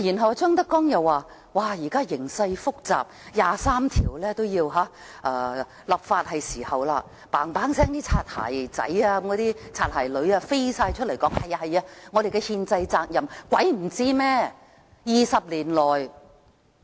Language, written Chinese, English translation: Cantonese, 當張德江又說現時形勢複雜，是時候就第《基本法》第二十三條立法，那些"擦鞋仔、擦鞋女"飛快走出來說這是我們的憲制責任，誰會不知道呢？, On hearing ZHANG Dejiangs call for legislation on Article 23 of the Basic Law in response to the current complicated situation those bootlickers have rushed straight to say it is our constitutional responsibility . Who does not know this argument?